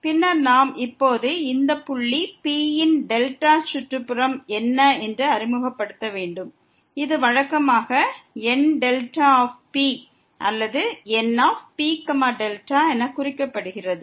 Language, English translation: Tamil, Then, we will introduce now what is the delta neighborhood of this point P which is usually denoted by N delta P or N P delta